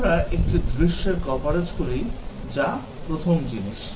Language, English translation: Bengali, We do a scenario coverage that is the first thing